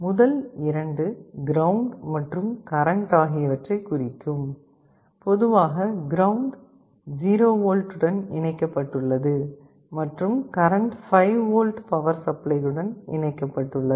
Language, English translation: Tamil, The first 2 are ground and power supply, typically the ground is connected to 0V and power supply is connected to 5V power supply